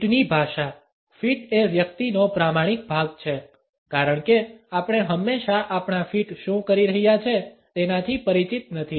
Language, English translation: Gujarati, Feet language; feet are those honest part of the person because we are not always aware of what our feet are doing